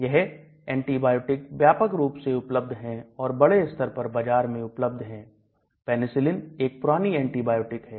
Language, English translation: Hindi, These are broad spectrum antibiotics and it is highly available in the market Penicillin one of the oldest antibiotics